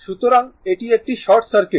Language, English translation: Bengali, So, this is short circuit